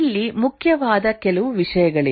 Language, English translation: Kannada, There are few things which are important here